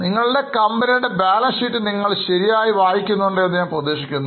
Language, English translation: Malayalam, I am hoping that you are properly reading the balance sheet of your company